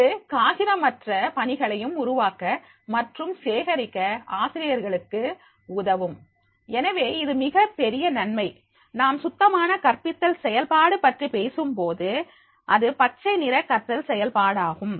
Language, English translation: Tamil, ) It helps teachers, create and collect assignments paperlessly, so this is a very big advantage when we are talking about the cleaner teaching process and the green teaching process